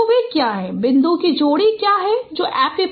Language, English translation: Hindi, So what are those what is that pair of point correspondences that is the epipoles